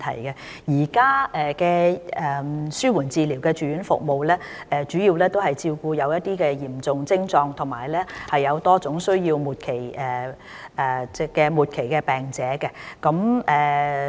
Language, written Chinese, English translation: Cantonese, 現有的紓緩治療住院服務，主要照顧有嚴重徵狀及多種需要的末期病者。, The existing palliative care inpatient services are mainly for terminally - ill patients with severe or complex symptoms and needs